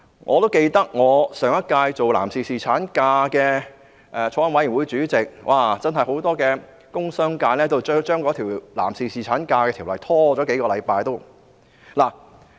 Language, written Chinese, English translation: Cantonese, 我上屆擔任有關男士侍產假的法案委員會主席，我記得很多工商界人士都希望將那項實施男士侍產假的條例拖延。, During the last term of the Council I was the Chairman of the Bills Committee related to paternity leave . As far as I can remember many people from the business sector wished that the implementation of the Ordinance concerning paternity leave could be delayed